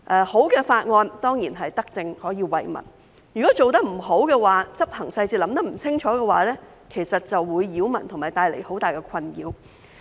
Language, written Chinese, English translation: Cantonese, 好的法案當然是德政，可以惠民，但如果做得不好，在執行細節上考慮得不清楚的話，就會擾民和帶來很大困擾。, If the legislation is good it will surely be a benevolent policy benefiting the people . Yet if the job is not done properly and marred by ill - considered implementation details it will be a nuisance to the people and cause a lot of trouble